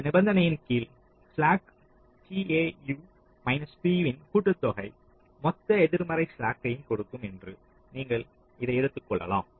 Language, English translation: Tamil, ok, so under this condition you can assume this: just summation of the slack tau p, this will give you the total negative slack